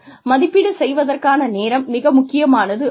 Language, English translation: Tamil, The timing of the appraisal is critical